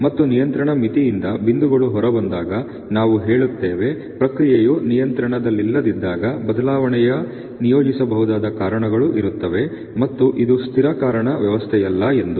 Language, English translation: Kannada, And when the points fall outside the control limit we say with the process out of control this is equivalent to saying that assignable causes of variation are present and this is not a constant cause system